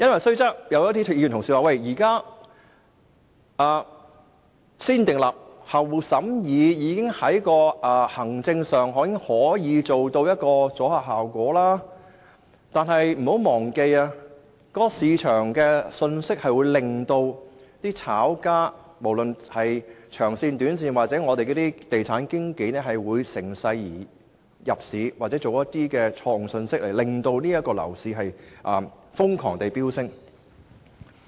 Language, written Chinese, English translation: Cantonese, 雖然有議員表示現時"先訂立後審議"的程序已在行政上收到阻嚇效果，但請不要忘記，市場信息會令長線或短線的炒家甚或地產經紀趁勢入市，又或是發出一些錯誤的信息令樓價瘋狂飆升。, Although a Member said that administratively speaking the existing negative vetting procedure does have some deterrent effects we must not forget that any information may either prompt long - or short - term speculators or estate agents to engage in property trading or send a wrong message to the property market and cause frantic increase in property prices